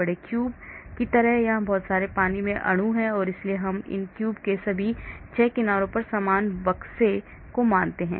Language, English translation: Hindi, a large cube like, there are lot of water molecules here and so we assume similar boxes on all the 6 sides of this cube